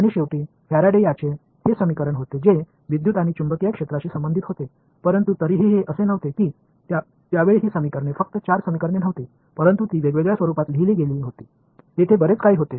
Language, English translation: Marathi, And, then Faraday finally, had this an equation which related the electric field to the magnetic field, but still it was not these were at that time these equations were not just 4 equation, but they were written in some different format there were plenty of them